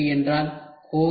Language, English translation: Tamil, What is rapid tooling